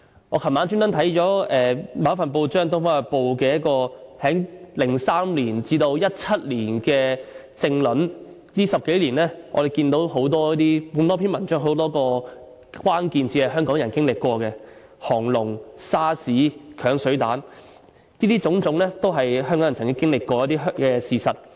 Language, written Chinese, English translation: Cantonese, 我昨晚刻意翻看《東方日報》2003年至2017年的政論，我們看到在這10多年內，多篇文章的多個關鍵字，包括"沙士"、"鏹水彈"等，如此種種都是香港人曾經歷過的事實。, Last night I deliberately read the political commentaries of Oriental Daily News from 2003 to 2017 . We can see a number of key words from these articles in this period of more than a decade including SARS acid bombs and so on . All these were the facts learned by the Hong Kong people